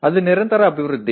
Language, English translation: Telugu, That is continuous improvement